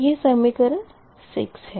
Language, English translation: Hindi, this is equation six